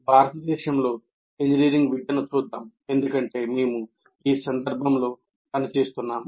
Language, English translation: Telugu, Now let us look at engineering education in India because we are operating in that context